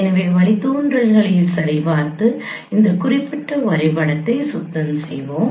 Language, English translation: Tamil, So let us check the derivations clean this particular diagram